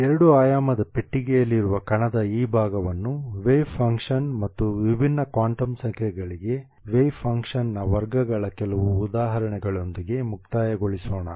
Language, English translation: Kannada, So let us conclude this part of the particle in a two dimensional box with some examples of the wave functions and the squares of the wave function for different quantum numbers